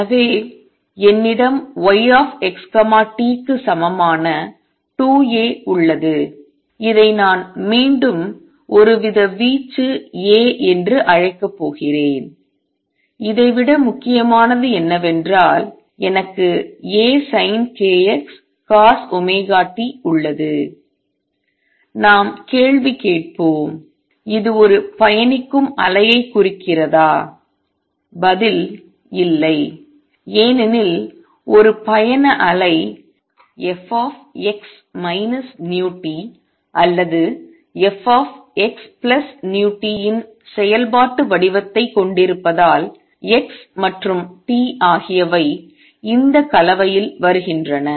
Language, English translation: Tamil, So, I have y x t is equal to 2 A which I am going to call again some sort of an amplitude A; what is more important is I have sin k x cosine of omega t, let us ask the question; does it represent a travelling wave and the answer is no, why because a travelling wave has the functional form of f x minus v t or f x plus v t x and t come in that combination